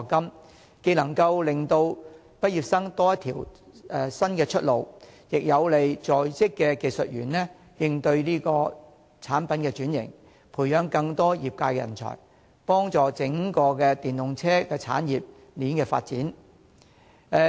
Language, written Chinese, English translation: Cantonese, 這些措施既能令畢業生多一條新出路，亦有利在職技術人員應對產品轉型，培育更多業界人才，幫助整個電動車產業鏈發展。, These measures not only create a new way out for graduates but also help in - service technicians adapt to product transformation thus nurturing more talents to drive the development of the EV industry chain